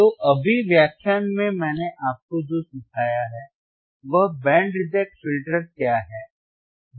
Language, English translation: Hindi, So, in the in the lecture right now, what I have taught you is, how we can, what is band reject filter